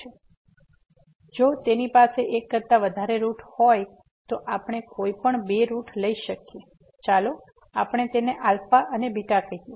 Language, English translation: Gujarati, So, if it has more than root then we can take any two roots let us say alpha and beta